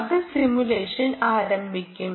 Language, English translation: Malayalam, it has started the simulation